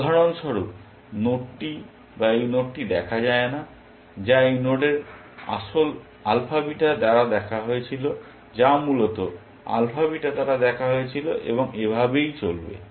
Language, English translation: Bengali, It is not seen this node for example, which was seen by alpha beta of this node, which was seen by alpha beta and so on essentially